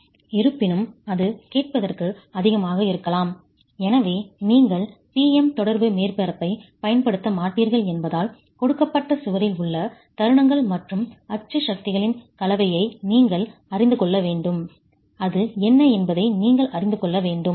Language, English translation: Tamil, However, that may be too much to ask for and therefore since you will not be using a PM interaction surface, you need to know what is the for the combination of moments and axial forces at a given wall, you need to know what is the state of stress in the wall